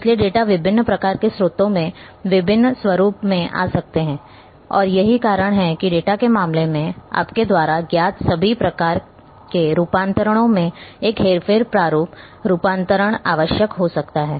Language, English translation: Hindi, So, data can come from variety of sources in variety of formats and that is why a manipulation format conversion you know all kinds of conversions may be required in case of the data